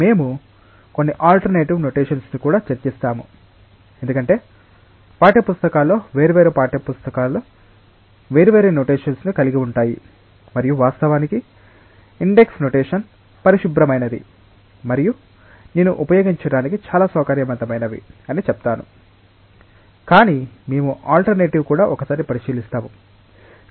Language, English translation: Telugu, We will also discuss about some of the alternative notations, because in text books different text books have different notations and of course, the index notation is the cleanest one and I would say that most convenient one to use, but we will also look into the alternative once